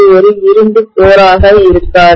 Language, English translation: Tamil, It will not be an iron core, right